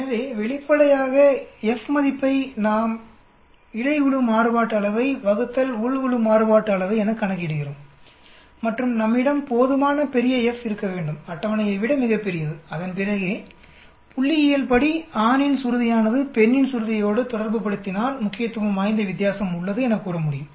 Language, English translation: Tamil, So obviously, the F value we calculate between group variance divided by within group variance and we have to have a sufficiently large F much larger than the table then only we can say statistically there is a significant difference between the pitch of male vis a vis pitch of female